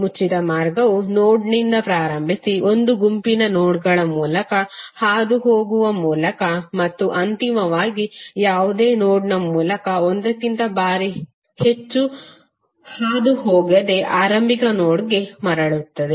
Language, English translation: Kannada, The closed path formed by starting at a node, passing through a set of nodes and finally returning to the starting node without passing through any node more than once